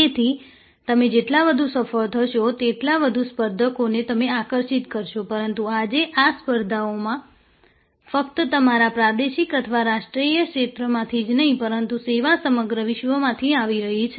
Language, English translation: Gujarati, So, the more you succeed, the more competitors you attract, but today these competition is coming not only from your regional or national domain, but competitions in the service field or often coming from all over the world